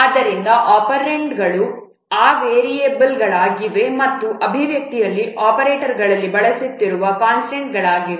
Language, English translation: Kannada, So, the operands are those variables and the constants which are being used in operators in expression